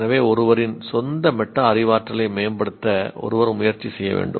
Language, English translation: Tamil, One can improve their metacognition